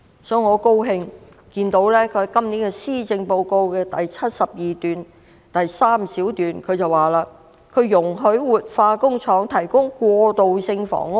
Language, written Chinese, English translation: Cantonese, 我很高興看到她在今年的施政報告第72段第3項表示"容許活化工廈可提供過渡性房屋。, I am glad to see that in item iii of paragraph 72 of the Policy Address this year she stated that the Government would allow revitalization of industrial buildings to provide transitional housing